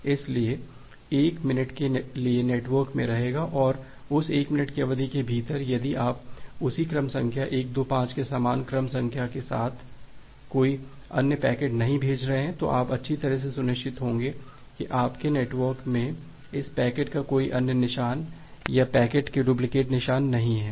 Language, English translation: Hindi, So, so the packet will be there in the network for 1 minute and within that 1 minute duration, if you are not sending any other packet with the same sequence number the same sequence number 125, then you will be sure that well no traces of this packet no other traces or the duplicate traces of the packets will be there in your network